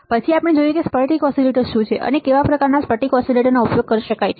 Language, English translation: Gujarati, We have then seen what are the crystal oscillators, and how what are kind of crystal oscillators that can be used